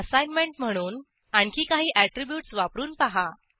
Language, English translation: Marathi, As an assignment Explore some more attributes